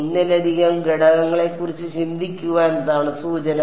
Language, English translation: Malayalam, Hint is to think of more than one element yeah